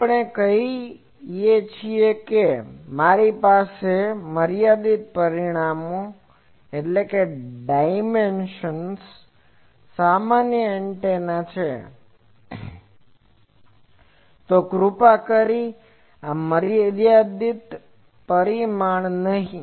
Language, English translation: Gujarati, We say that if I have a general antenna of finite dimension, please not this finite dimension